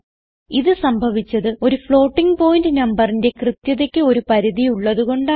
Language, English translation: Malayalam, This happens because there is a limit to the precision of a floating point number